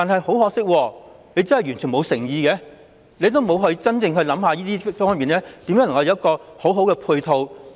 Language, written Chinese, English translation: Cantonese, 很可惜，當局完全沒有誠意，並未認真思考如何為此提供良好配套。, Unfortunately the Government has no sincerity in this legislative exercise and fails to ponder on how it can properly support the implementation of the Bill